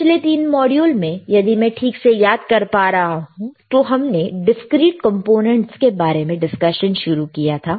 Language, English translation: Hindi, In the in the last 3 modules, if I if I correctly record including this one, is we have started with the discrete components